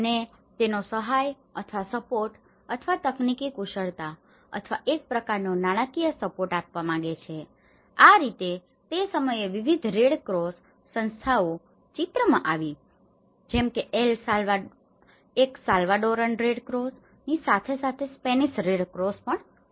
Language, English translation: Gujarati, And they want to give their helping hand or the support or the technical expertise or a kind of financial supports so, that is how this is the time different red cross associations like one is a Spanish red cross along with the Salvadoran red cross